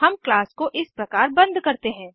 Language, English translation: Hindi, This is how we close the class